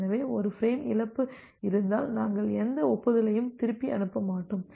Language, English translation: Tamil, So, if there is a frame loss, so we will not send back any acknowledgement